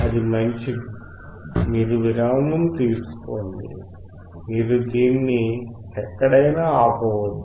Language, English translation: Telugu, That is fine; you take your break; you can stop this